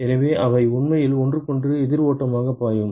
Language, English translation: Tamil, So, they are actually flowing counter current to each other